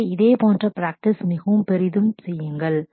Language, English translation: Tamil, So, do similar practices very heavily